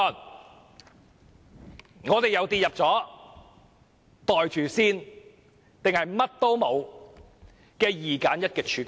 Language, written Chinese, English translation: Cantonese, 這樣，我們又跌進"袋住先"或甚麼也沒有這種二選一的處境中。, In that case we will once again be caught in the dilemma of pocket it first or nothing at all